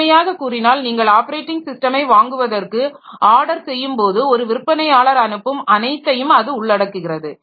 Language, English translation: Tamil, A simple viewpoint is that it includes everything a vendor ships when you order the operating system